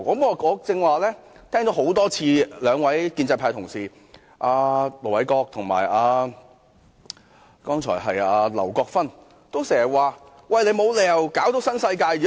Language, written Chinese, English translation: Cantonese, 我剛才聽到兩位建制派同事，即盧偉國議員和劉國勳議員，多次說沒有理由要扯上新世界。, Just now I heard two Honourable colleagues from the pro - establishment camp namely Ir Dr LO Wai - kwok and Mr LAU Kwok - fan repeat many times that there was no reason to drag in NWD